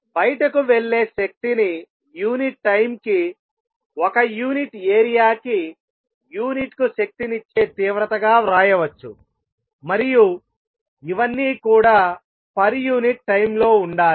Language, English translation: Telugu, Energy which is going out can be written as the intensity which is energy per unit per area per unit time